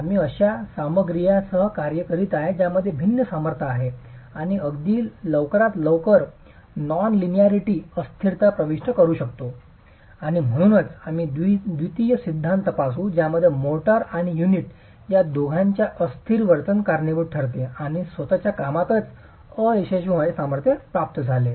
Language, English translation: Marathi, We are dealing with materials which have different strengths and can enter non linearity and elasticity quite early and therefore we will examine a second theory which accounts for the inelastic behavior of both the motor and the unit in arriving at the failure strength of the Mason rate cell